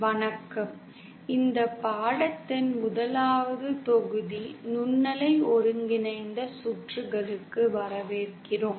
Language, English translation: Tamil, Hello, welcome to the 1st module of this course, microwave integrated circuits